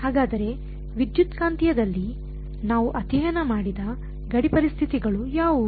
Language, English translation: Kannada, So, what are the boundary conditions that we have studied in the electromagnetic